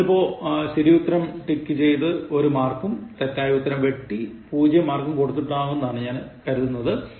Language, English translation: Malayalam, Now, I hope you have been ticking the right answers and giving one mark and then crossing the wrong one and giving 0